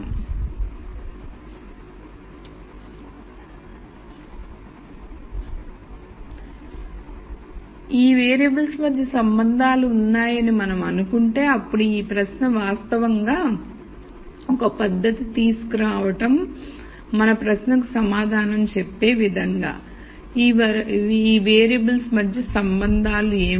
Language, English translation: Telugu, So, if we assume that there are relationships between these variables, then there is this question of actually coming up with a method that will answer our question as to what are the relationships among these variables